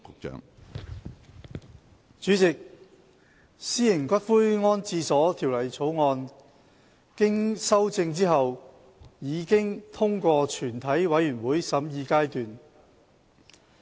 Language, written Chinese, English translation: Cantonese, 主席，《私營骨灰安置所條例草案》經修正後已通過全體委員會審議階段。, President the Private Columbaria Bill has passed through the Committee stage with amendments